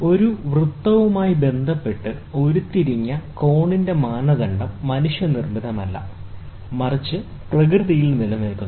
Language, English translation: Malayalam, The standard of an angle, which is derived with relation to a circle, is not man made, but exist in nature